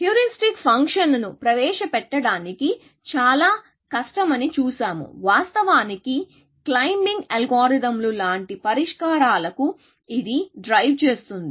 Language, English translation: Telugu, We have seen that it is very difficult to devise heuristic function, which will drive actually, climbing like, algorithms to solutions